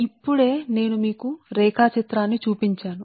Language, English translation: Telugu, just now i showed you the diagram right